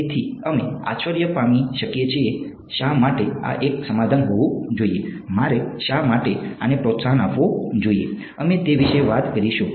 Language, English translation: Gujarati, So, we may wonder why should this be a solution why should I want to promote this we will talk about that